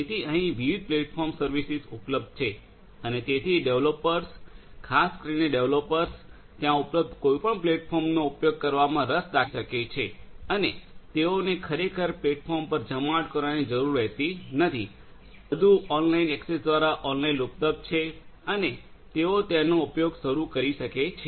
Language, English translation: Gujarati, So, there are different platform services are available and so people could you know the developers, particularly developers they could be interested in using any of those available platforms and they do not really have to deploy that platform everything is available online through online access and they could start using them